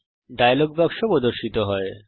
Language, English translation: Bengali, A dialogue box opens